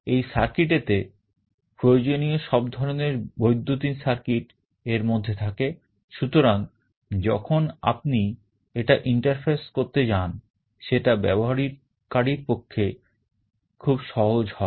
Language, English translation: Bengali, This circuit has all the required electronic circuit inside it, so that when you interface it, it becomes very easy for the user